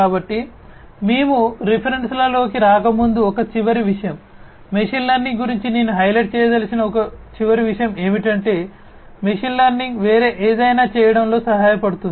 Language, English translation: Telugu, So, one last thing before we get into the references, one last thing that I would like to highlight about machine learning is that machine learning can help do something else as well